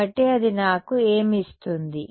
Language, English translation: Telugu, So, what does that give me it gives me